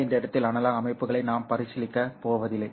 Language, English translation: Tamil, But we are not going to consider analog systems at this point